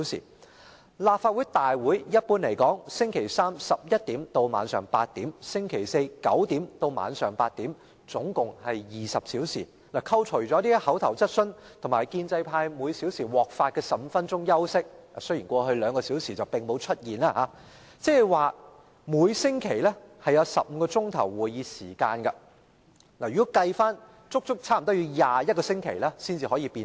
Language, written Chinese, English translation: Cantonese, 一般來說，立法會會議在周三早上11時開始至晚上8時，周四早上9時至晚上8時舉行，合共20小時，扣除口頭質詢及建制派議員每小時獲發的15分鐘休息時間計算——雖然這情況在過去兩小時並沒有出現——即每周有15小時會議時間，差不多要足足21周才能完成相關辯論。, Generally speaking the Legislative Council meeting is convened from 11col00 am to 8col00 pm on Wednesday and 9col00 am to 8col00 pm on Thursday and this adds up to a total of 20 hours . Deduct from this the time for oral questions and the 15 - minute breaks given to Members of the pro - establishment camp every hour―although such an instance has not arisen in the past two hours―that means the meeting time is 15 hours per week and almost as many as 21 weeks are needed to complete the relevant debate